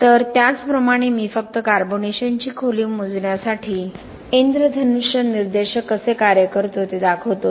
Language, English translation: Marathi, So similarly I will just show how the rainbow indicator performs for measuring the carbonation depth